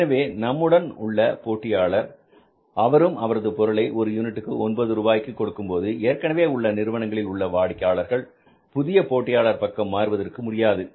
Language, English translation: Tamil, When your competitor would see that all competitors are selling the product at 9 rupees per unit and the say the customers of the existing companies, they are not shifting towards new player